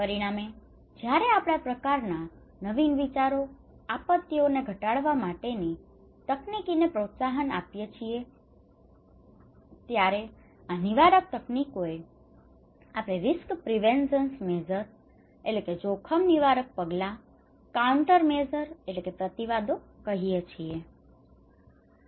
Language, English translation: Gujarati, As a result, when we promote this kind of innovative ideas, technologies to reduce disasters, we call these preventive technologies, risk preventive measures, countermeasures